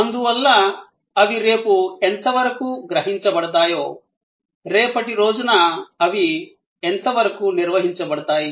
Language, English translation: Telugu, And therefore, how most likely they will be likely perceived tomorrow, most likely they will be manage tomorrow